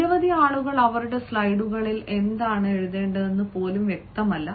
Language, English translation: Malayalam, many people even are not clear about what to write on their slides